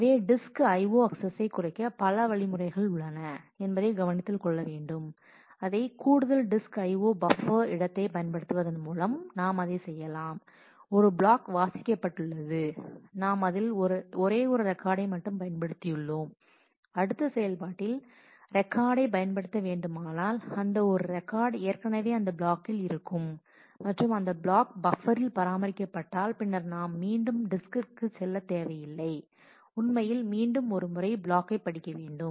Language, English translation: Tamil, So, there are also it has to be noted that there are also several algorithms to reduce the disk I/O we can do that by using extra buffer space for example, one block has been read in and we are just using one record of that if in the next operation we have to use some record which is already existing in that block and if that block is maintained in that buffer then we do not need to go back to the disk and actually read the block once again